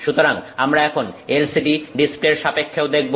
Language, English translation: Bengali, So, now let's see also with respect to LCD displays